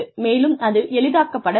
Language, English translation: Tamil, And, that should be facilitated